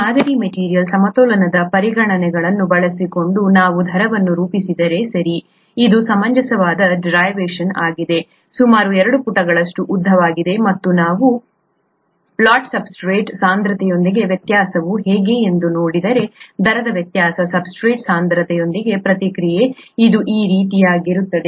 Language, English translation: Kannada, If we work out the rates by using this model and material balance considerations, okay, it’s a reasonable derivation, about two pages long and if we if we look at how the variation is with the substrate concentration, variation of the rate of the reaction with substrate concentration, it will be something like this